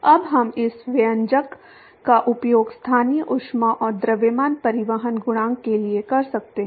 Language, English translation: Hindi, Now we can use this expression for local heat and mass transport coefficient